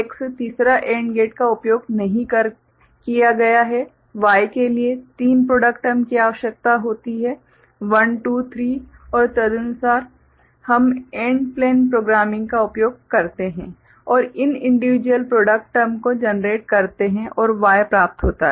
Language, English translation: Hindi, So, this is X third AND gate is not used right Y requires three product terms 1 2 3 right and accordingly, we use the AND plane programming and generate these individual product terms and Y is obtain